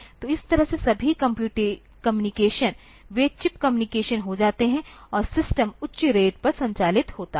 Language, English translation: Hindi, So, that way all communications, they become on chip communication and the system operates at a higher rate